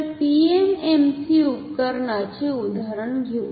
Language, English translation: Marathi, So, let us take the example of the PMMC instrument